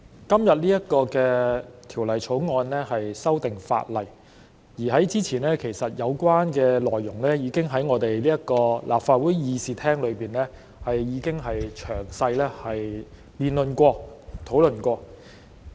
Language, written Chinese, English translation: Cantonese, 代理主席，今次恢復二讀的《2021年立法會條例草案》的有關內容，早前已於立法會議事廳作詳細辯論和討論。, Deputy President the relevant contents of the Second Reading of the Legislative Council Bill 2021 the Bill the Second Reading of which resumes today have been debated and discussed in detail in the Chamber of this Council earlier